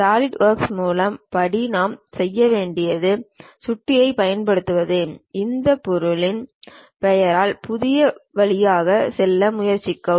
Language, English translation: Tamil, The first step as Solidworks what we have to do is using mouse try to go through this object name New